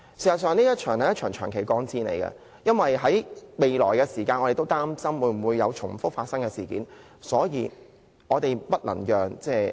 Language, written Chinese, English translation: Cantonese, 事實上，這將會是一場長期抗戰，因為我們都擔心將來會否再次發生類似的事件。, In fact this is going to be a long - term battle because we are all worried that similar incidents will occur in the future